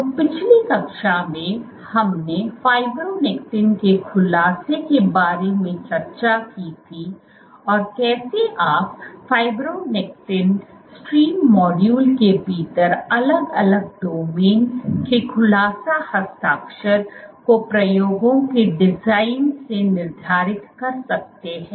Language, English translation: Hindi, So, in the last class we had discussed about unfolding of fibronectin and how you can go about designing experiments to determine the unfolding signature of individual domains within fibronectin stream module